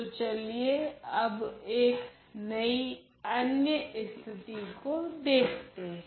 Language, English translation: Hindi, So, let us look at another case now